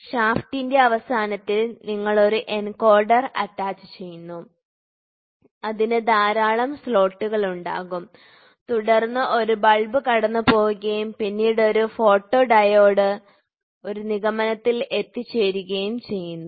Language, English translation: Malayalam, You attach an encoder at the end of the shaft and it will have lot of slots and then what we do is we passed a bulb and then we have a photodiode which deducts